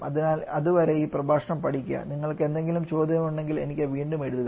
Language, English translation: Malayalam, So till then just revise this lecture and if you have any query right back to me, Thank you